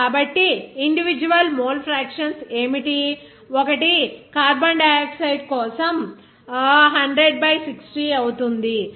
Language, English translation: Telugu, So, individual mole fractions will be what, that is one for carbon dioxide it will be what, that will be your 60 by 100, that is 0